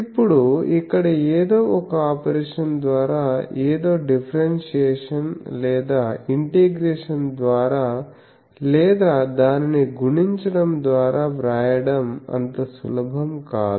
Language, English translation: Telugu, Now, I cannot write that by some operation here either by differentiation or integration something or multiplying it with something it is not so easy to write it